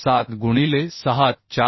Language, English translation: Marathi, 7 into 6 4